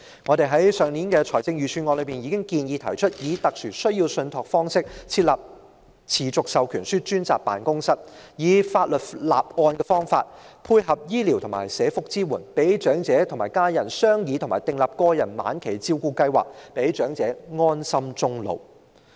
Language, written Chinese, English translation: Cantonese, 在上年討論財政預算案時，我們已建議以"特殊需要信託"方式設立"持續授權書"專責辦公室，以法律立案的方法，配合醫療及社福支援，讓長者和家人商議及訂立個人晚期照顧計劃，讓長者安心終老。, During the discussion on the budget last year we proposed the setting up of a dedicated agency for enduring powers of attorney in the form of special needs trust so that by means of legal documents complemented with medical and welfare support the elderly and their families may discuss and draw up individual end - of - life care plans and the elderly may spend their twilight years without worries